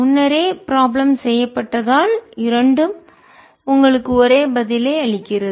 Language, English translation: Tamil, as the previous problems was done, both give you the same answer